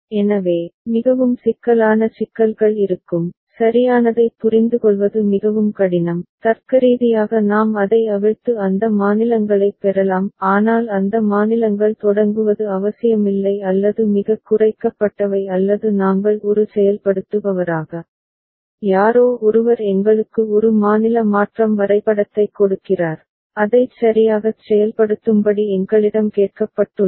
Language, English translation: Tamil, So, there will be more complex problems, more difficult to understand right and logically we may unfurl it and get those states; but it is not necessary that those states to begin with or the most minimized ones or we as an implementer, somebody gives us a state transition diagram, we have been asked to implement it ok